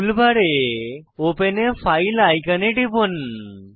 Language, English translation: Bengali, Click on Open a file icon in the tool bar